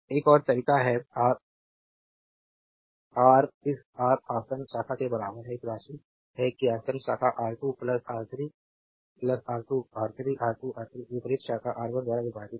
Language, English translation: Hindi, Another way is Ra is equal to this R adjacent branch this sum that adjacent branch R 2 plus R 3, plus R 2 R 3; R 2 R 3 divided by this opposite branch R 1